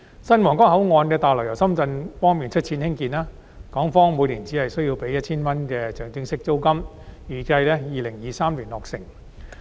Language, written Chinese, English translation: Cantonese, 新皇崗口岸大樓由深圳方面出資興建，港方每年只須支付 1,000 元的象徵式租金，預計在2023年落成。, The construction of the new Huanggang Port building will be financed by Shenzhen and Hong Kong will only be required to pay a nominal rent of RMB1,000 per year . The building is expected to be completed in 2023